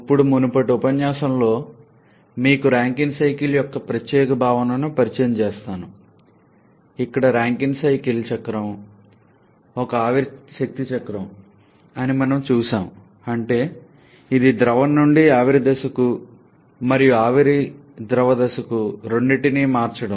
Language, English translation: Telugu, Now in the previous lecture you are introduced to this particular concept of Rankine cycle where we have seen that Rankine cycle is a vapour power cycle, that is it involves the change of phase from liquid to vapour phase and vapour to liquid phase both